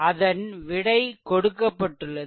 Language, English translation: Tamil, So, solution is given